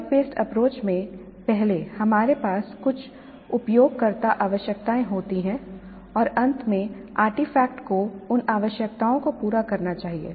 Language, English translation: Hindi, In project based approach, upfront we are having certain user requirements and at the end the artifact must satisfy those requirements